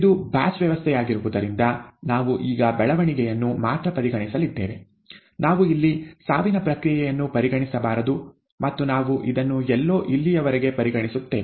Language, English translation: Kannada, Since this is a batch system, and we are going to consider only the growth now, let us not consider the death process here and so on and so forth, we will consider till somewhere here